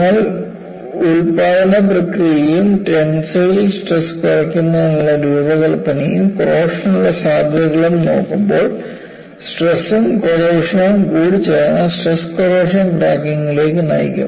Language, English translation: Malayalam, So, you look at the manufacturing process, as well as the design to reduce the tensile stresses and chances for corrosion, because the combination of stresses and corrosion will lead to stress corrosion cracking